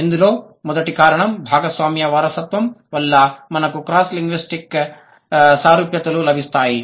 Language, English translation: Telugu, The first reason because of the shared inheritance, we get the cross linguistic similarities